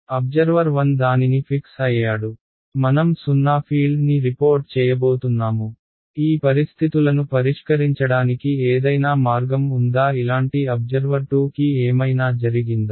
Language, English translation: Telugu, Observer 1 has he is fixed I am going to report zero field is there any way to fix this situations such observer 2 does not know that anything different happened